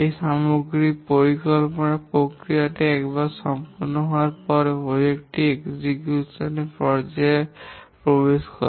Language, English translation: Bengali, Once having done this overall planning process, the project enters the execution phase